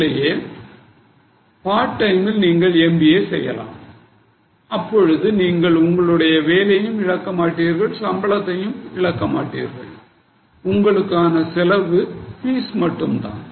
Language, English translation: Tamil, Otherwise, maybe you can go for a part time MBA where your fees is a cost but you are not losing on your job or on your salary